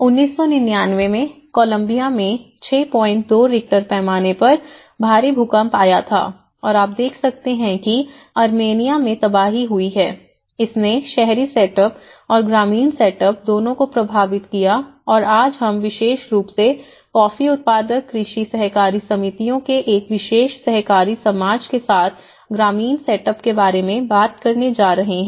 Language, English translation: Hindi, 2 Richter scale and what you can see is a devastation in Armenia, it has affected both the urban setups and as well as the rural setups and today we are going to more talk more about the rural setups especially with a particular cooperative society of agricultural cooperatives on coffee growers